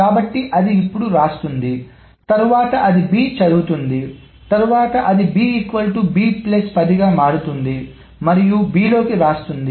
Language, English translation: Telugu, So then it writes, then it reads B, then it does b is equal to B plus set and then writes to B